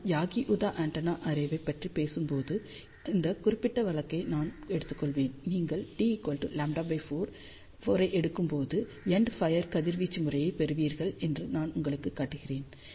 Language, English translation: Tamil, When, I talk about Yagi Uda Antenna array I will take this particular case and I will show you that when you take d around lambda by 4, you get a endfire radiation pattern